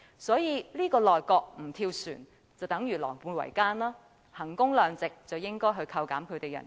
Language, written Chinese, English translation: Cantonese, 所以，這個內閣不跳船的話，便等於狼狽為奸，以衡工量值而言，應該扣減他們的薪酬。, Hence if this cabinet does not jump ship it will be equivalent to collusion . In terms of value for money their salaries should be reduced